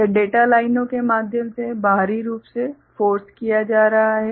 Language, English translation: Hindi, It is being forced externally through the data lines